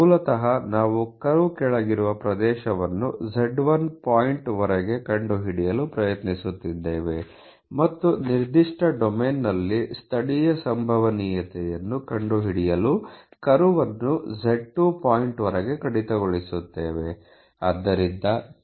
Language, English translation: Kannada, You basically trying to find out the area under the curve up to the point z1, and delete or deduct the are up to the point z 2 to find local probability in that particular domain